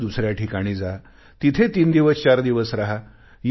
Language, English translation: Marathi, Go to a destination and spend three to four days there